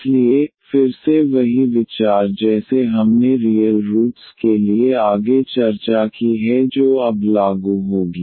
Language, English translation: Hindi, So, again the same idea like we have discussed further for the real roots that will be applicable now